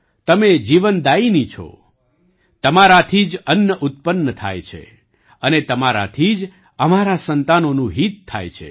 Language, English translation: Gujarati, You are the giver of life, food is produced from you, and from you is the wellbeing of our children